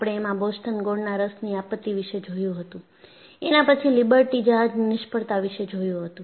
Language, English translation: Gujarati, We saw the Boston molasses disaster, which was followed by Liberty ship failure